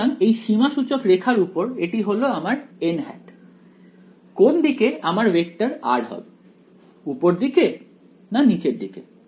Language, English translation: Bengali, So, on this contour this is my n hat right which way is my this vector r upwards or downwards